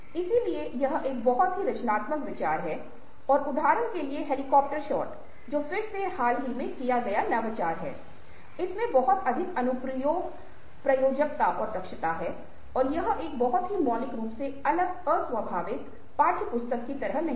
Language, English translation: Hindi, and, for instance, the helicopter shot ah which, again ah is awarely recent innovation, has a lot of application, applicability and ah efficiency and is a very radically different un classical, un textbook kind of a sort